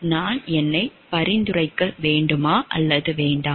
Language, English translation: Tamil, Should I recommend myself or should I not